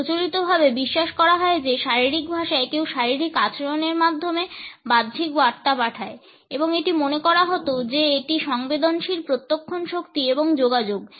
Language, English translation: Bengali, Body language conventionally believed that one sends external messages through body behaviour and it was thought that sensory perception strength and communication